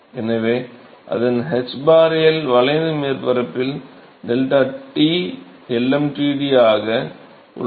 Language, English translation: Tamil, So, its hbarL into the curved surface area into deltaT lmtd